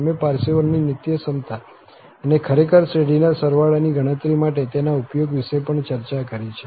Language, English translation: Gujarati, We have also discussed the Parseval's identity and indeed, use for computing the sum of a series